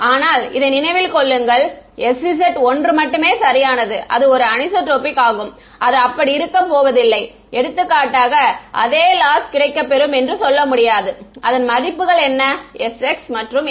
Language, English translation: Tamil, But remember that this is s z only right it is anisotropic its not be its not the it's not going to experience the same loss for example, s x and s y what are the values of s x and s y one right